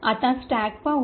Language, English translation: Marathi, Now let us look at the stack